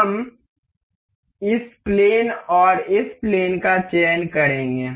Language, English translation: Hindi, We will select say this plane and this plane